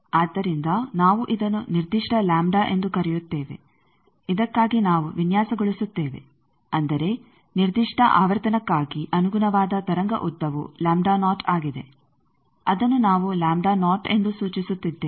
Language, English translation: Kannada, So, we are calling this particular lambda for which we design that means, for a particular frequency the corresponding wave length lambda naught that we are denoting as lambda naught